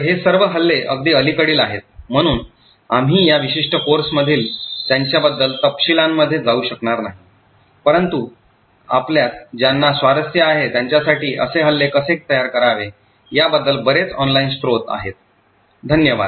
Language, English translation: Marathi, So, all of these attacks are quite recent, so we will not go into details about them in this particular course but for those of you who are interested there are a lot of online resources about how to create such attacks, thank you